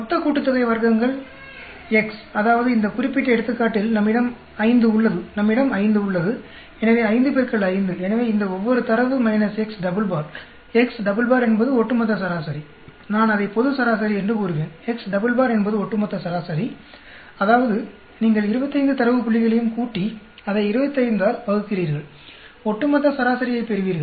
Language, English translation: Tamil, The total sum of squares is X; that means, each of these in this particular example we have 5, and we have 5, so 5 x 5, so each of these data minus X double bar; X double bar is the overall average; I will call it the global average; X double bar is a overall mean; that means you add up all the 25 data points, divide it by 25, you will get the overall average